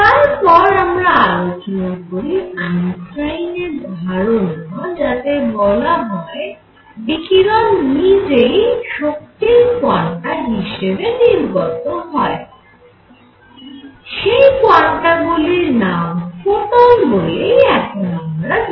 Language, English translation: Bengali, Then Einstein introduced the idea of the radiation itself coming in the form of energy quanta, which we now call photons